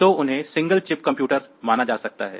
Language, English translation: Hindi, So, they are they can be considered as single chip computer